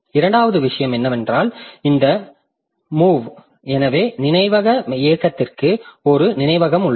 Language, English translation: Tamil, Second thing is that so this move, so this is that there is a memory to memory movement